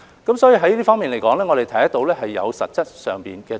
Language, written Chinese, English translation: Cantonese, 因此，在這方面，我們看到是有實質進展。, All in all real progress is evident in this regard